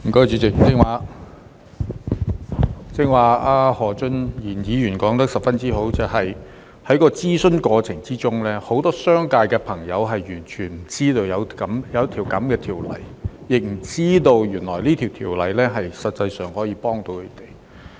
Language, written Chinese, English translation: Cantonese, 主席，何俊賢議員剛才說得相當好，就是在諮詢過程中，很多商界朋友完全不知道有這項《貨物銷售條例草案》，亦不知道原來《條例草案》實際上可以幫助到他們。, President Mr Steven HO has just made a very good point that is during the consultation process many friends in the business sector were totally unaware of the Sale of Goods Bill the Bill and did not know that the Bill could actually help them